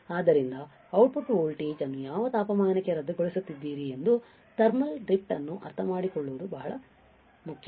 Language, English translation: Kannada, So, it is very important to understand the thermal drift that what temperature you are nullifying your output voltage